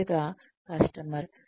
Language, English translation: Telugu, First is the customer